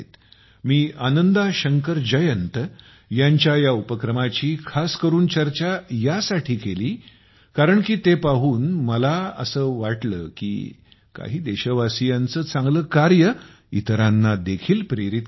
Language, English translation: Marathi, I specifically mentioned this effort of Ananda Shankar Jayant because I felt very happy to see how the good deeds of the countrymen are inspiring others too